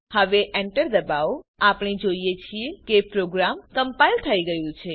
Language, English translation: Gujarati, Now press Enter We see that the program is compiled